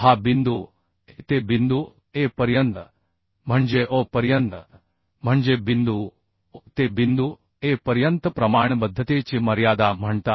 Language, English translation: Marathi, So, uhh, and this is point A, this point A up to point A, that means up to O, means from point O to point A is called limit of proportionality